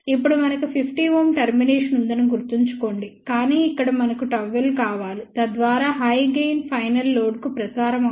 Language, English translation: Telugu, Remember now we have 50 ohm termination, but we want gamma l over here, so that higher gain can be transmitted to the final load